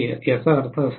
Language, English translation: Marathi, 1 that is what it means